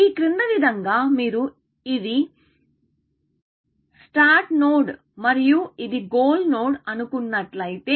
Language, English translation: Telugu, If you can depict as follows; this is the start node and this is the goal node